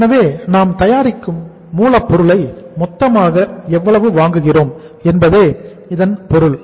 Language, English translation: Tamil, So it means how much total purchase of the raw material we are making